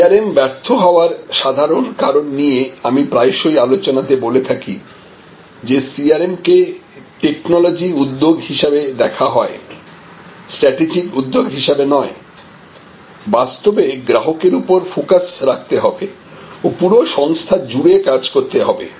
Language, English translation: Bengali, So, common failures of CRM has I have been discussing is often, because CRM is viewed as a technology initiative and not as a strategic initiative that actually must have a focus on the customer and must embrace the entire organization